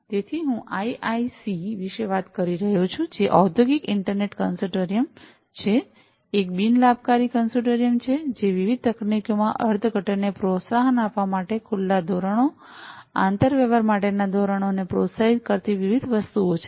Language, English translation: Gujarati, So, I was talking about the IIC, which is the Industrial Internet Consortium, which is a non profit consortium doing different things promoting open standards, standards for interoperability, supporting architectures of different, you know, architectures for promoting interpretability across different technologies, and so on